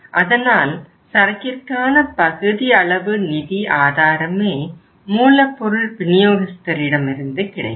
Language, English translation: Tamil, So part of the funding of the inventory comes from the supplier